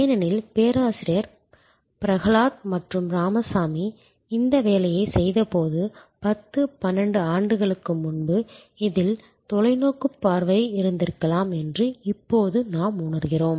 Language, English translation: Tamil, Because, now we realize and when Professor Prahalad and Ramaswamy did this work I think maybe 10, 12 years back at that time there was lot of far sight in this